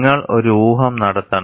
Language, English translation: Malayalam, You have to make a guess work